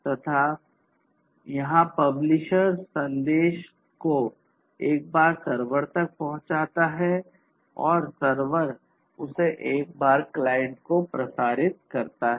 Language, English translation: Hindi, And, here the publisher transmits the message one time to the server and the server transmits it one time to the subscriber